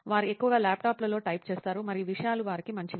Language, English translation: Telugu, They mostly type in the laptops and things are good for them